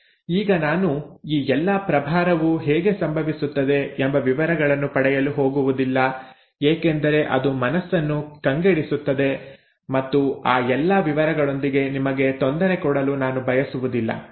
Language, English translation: Kannada, Now I am not going to get into details of how all this charging happens because then it becomes too mind boggling and I do not want to bother you with all those details